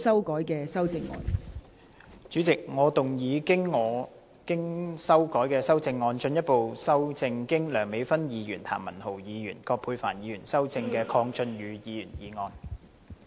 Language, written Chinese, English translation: Cantonese, 代理主席，我動議我經修改的修正案，進一步修正經梁美芬議員、譚文豪議員及葛珮帆議員修正的鄺俊宇議員議案。, Deputy President I move that Mr KWONG Chun - yus motion as amended by Dr Priscilla LEUNG Mr Jeremy TAM and Dr Elizabeth QUAT be further amended by my revised amendment